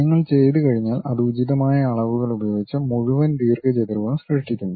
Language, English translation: Malayalam, If you are done, then it creates the entire rectangle with proper dimensions